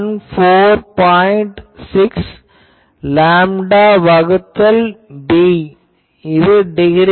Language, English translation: Tamil, 6 lambda by b in degree